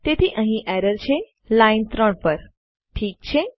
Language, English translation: Gujarati, So thats where the error is on line 3, okay